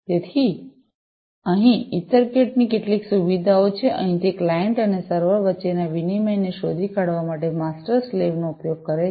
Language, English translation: Gujarati, So, here are some of the features of EtherCat, here also it uses the master slave protocol for detects exchange between the client and the server